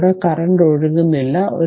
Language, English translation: Malayalam, So, no current is flowing through this